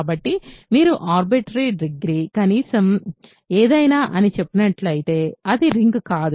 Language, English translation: Telugu, So, if you just arbitrarily say degree at most something at least something, it is not a ring ok